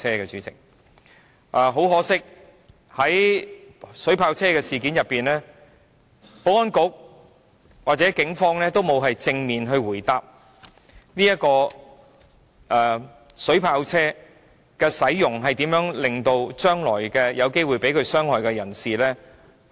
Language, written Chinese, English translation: Cantonese, 可惜的是，在購置水炮車一事上，保安局和警方皆沒有正面答覆有關出動水炮車的情況，以及將來如何保障有機會被水炮車傷害的人士。, Regrettably on the procurement of water cannon vehicles the Security Bureau and the Police refused to give a direct reply as to the conditions on deploying water cannon vehicles and the protection of those who may be injured by water cannon vehicles in the future